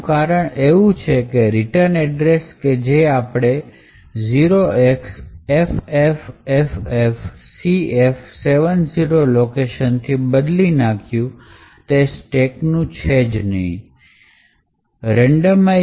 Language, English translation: Gujarati, The reason being that the return address which we have overwritten to the location ffffcf70 would no longer have the stack